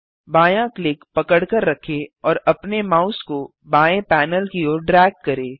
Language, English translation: Hindi, Hold left click and drag your mouse towards the left panel